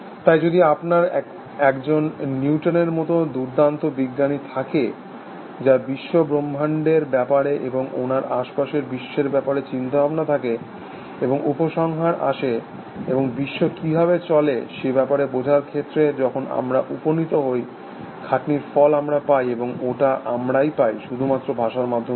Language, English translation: Bengali, So, if you have a brilliant scientist like Newton, whose thinking about the universe, and the world around him, and coming to conclusions, and arriving at some understanding of how the world operates, the fruit of his effort is available to us, and it is available to us, only through the medium of language essentially